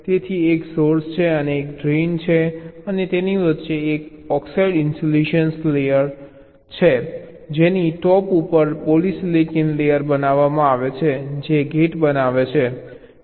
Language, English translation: Gujarati, so one is the source, one is the drain, and in between there is an oxide insulation layer on top of which a polysilicon layer is created which forms the gate